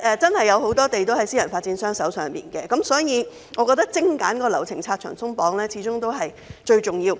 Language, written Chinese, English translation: Cantonese, 由於有很多土地是由私人發展商擁有，所以我覺得精簡流程，拆牆鬆綁始終是最重要的。, Since a lot of land is owned by private developers I think it is most important to streamline the procedures and remove the red tape